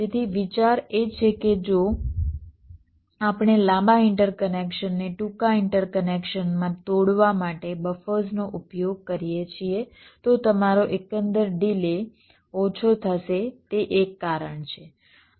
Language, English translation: Gujarati, so the idea is that if we use buffers to break a long interconnection into shorter interconnections, your overall delay will be less